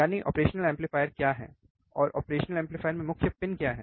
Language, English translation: Hindi, That is, what are the operational amplifiers, and what are the main pins in the operational amplifier